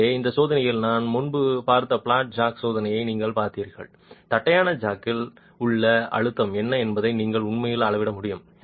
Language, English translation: Tamil, So, in this test you saw the flat jack test that we had looked at earlier, you will actually be able to measure what is the pressure in the flat jack